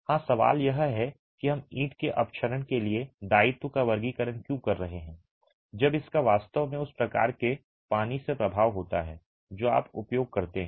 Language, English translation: Hindi, The question is about why are we classifying the liability to efflorescence of the brick when it actually has an influence from the type of water that you use